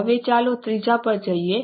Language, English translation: Gujarati, Now let us go to the third one